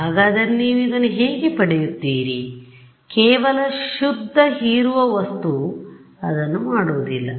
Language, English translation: Kannada, So, how will you get around this, it does not seem that just pure absorbing material is not going to do it